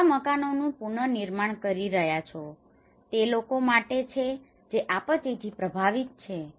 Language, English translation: Gujarati, You are reconstructing new houses it is for the people who are affected by a disaster